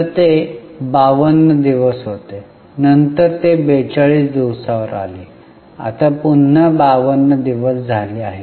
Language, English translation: Marathi, So it was 52 days, then it came down to 42 days, now again it is 52 days